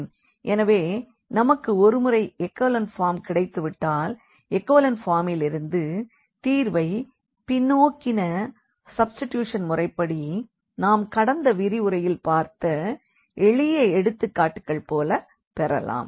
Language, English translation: Tamil, So, once we have the echelon form getting the solution from the echelon form was just through this back substitution which we have observed in simple examples in previous lecture